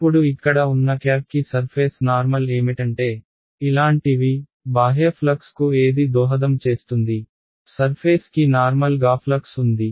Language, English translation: Telugu, Now what is the surface normal for the cap over here is like this right that is what is content will contribute to the outward flux, what is normal to the surface is flux